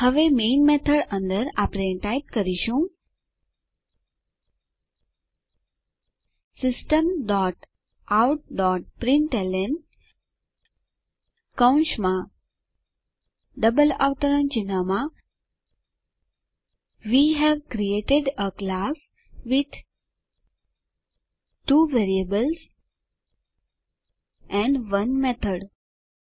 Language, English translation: Gujarati, Now, inside the main method we will type System dot out dot println within brackets and double quotes We have created a class with two variables and 1 method